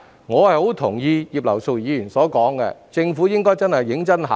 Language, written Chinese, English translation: Cantonese, 我很同意葉劉淑儀議員的意見，政府應該認真考慮。, I very much agree with Mrs Regina IPs view to which the Government should give serious consideration